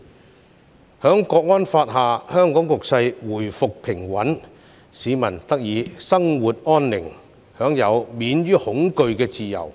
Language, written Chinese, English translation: Cantonese, 在《香港國安法》下，香港局勢回復平穩，市民得以生活安寧，享有免於恐懼的自由。, Under the National Security Law Hong Kong society has restored calmness and people can now live in peace and enjoy freedom from fear